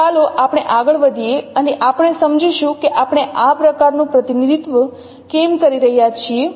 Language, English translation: Gujarati, So let us proceed and we understand the, why we are taking this kind of representations